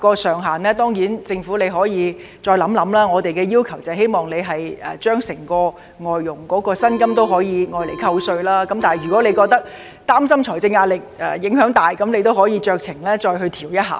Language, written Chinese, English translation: Cantonese, 政府當然可以再考慮扣稅額上限，而我們則要求外傭的工資全數可獲扣稅，但如果政府擔心會構成沉重的財政壓力，可以酌情調整一下。, Of course the Government may also consider setting a cap on the amount of deduction but we demand a full deduction for FDH wages . And yet if the Government worries that this will impose a heavy financial burden the amount may be adjusted somewhat